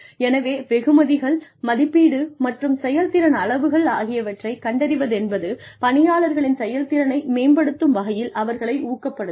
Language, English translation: Tamil, So, rewards, assessment and recognition of performance levels, can motivate workers, to improve their performance